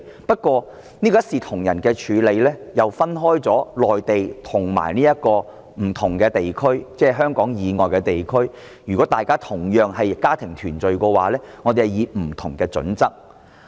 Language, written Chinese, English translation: Cantonese, 不過，這個一視同仁的處理卻分為內地和不同地區，即是如果大家同樣是以家庭團聚為由提出申請的話，我們會用不同準則處理。, However under this equal treatment a distinction is drawn between the Mainland and other regions . It means we will adopt different criteria to deal with applications from the Mainland and applications from other regions even though they are for the same reason of family reunion